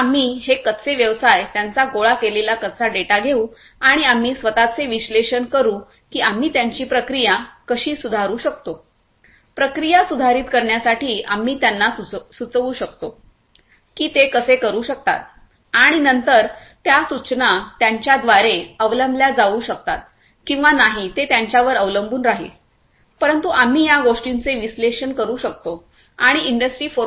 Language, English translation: Marathi, So, we will take up these raw businesses, their raw data that we have collected and we will analyze ourselves that how we can improve their processes, how we can what we can suggest to improve their processes and then those suggestions can be adopted by them or not that is up to them, but we can analyze these things and we can give a prescription for them about what they they could do in terms of that option of industry 4